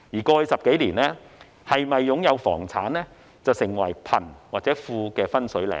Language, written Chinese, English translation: Cantonese, 過去10多年，是否擁有房產成為貧或富的分水嶺。, Owning a property or not has become the watershed indicator of being rich or poor over the past decade or so